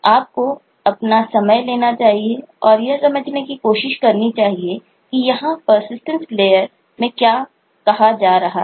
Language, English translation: Hindi, You should take your time of and try to understand what is being said in persistence layer